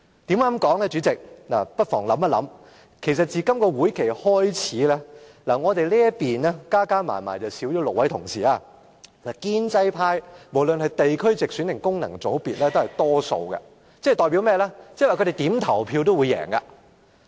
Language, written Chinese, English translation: Cantonese, 大家不妨想一想，自今屆會期開始，我們這邊少了6位同事，而建制派，無論是地區直選或功能界別的議員，都佔大多數，即他們在任何情況下投票都會贏。, Just think since the beginning of this legislative session we have lost six colleagues on our side while the pro - establishment camp is the majority in terms of Members returned by geographical constituencies through direct elections and by functional constituencies . That means they will win in any voting